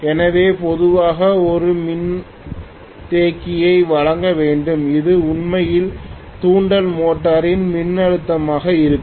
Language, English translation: Tamil, So we will normally have to provide maybe a capacitor which will actually if I say that if this is going to be my voltage of the induction motor